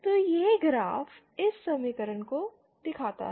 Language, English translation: Hindi, So this graph represents this equation